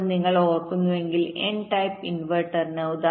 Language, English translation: Malayalam, now for an n type inverter, if you recall